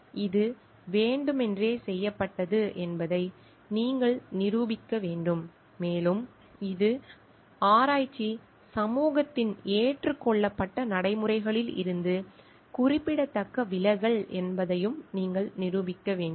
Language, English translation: Tamil, You have to prove like it was done intentionally and you have to also prove like it is a significant departure from the accepted practices of the research community